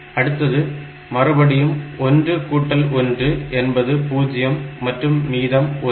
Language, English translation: Tamil, 0, again that 1 is taken and then it becomes 0